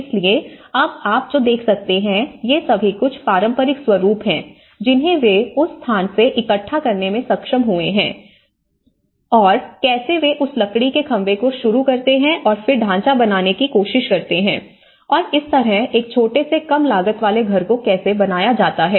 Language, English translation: Hindi, So, what you can see is now these are all some of the traditional patterns, which they could able to gather from that location and how they just start that timber poles and then they try to make the frame and that is how a small low cost house has been dealt